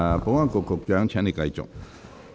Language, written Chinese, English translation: Cantonese, 保安局局長，請繼續發言。, Secretary for Security please continue with your speech